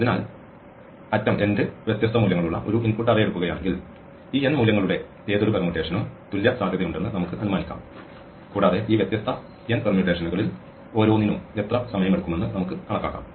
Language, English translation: Malayalam, So, if we take an input array with end distinct values, we can assume that any permutation of these n values is equally likely and we can compute how much time quicksort takes in each of these different n permutations and assuming all are equally likely, if we average out over n permutations we can compute an average value